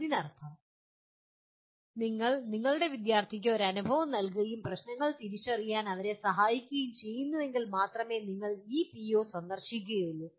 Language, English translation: Malayalam, That means if you are giving an experience to your students and facilitating them to identify problems, then only you are meeting this PO